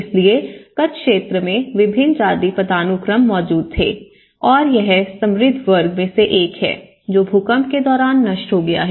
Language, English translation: Hindi, So, different caste hierarchies existed in the Kutch area and this is one of the rich class and which has been destructed during the earthquake